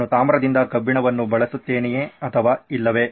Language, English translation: Kannada, Do I use iron with copper or do I not